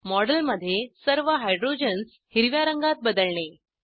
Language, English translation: Marathi, Change the color of all the hydrogens in the model to Green